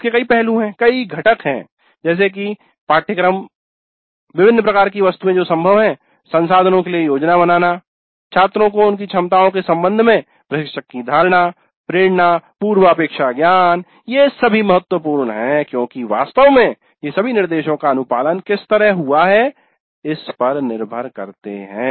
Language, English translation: Hindi, So, this has several aspects, several components, celibus with a variety of items which are possible, then planning for resources, then instructors perception of students with regard to their abilities, motivation, prerequisite knowledge, these are all very important because that has a bearing on how actually the instruction takes place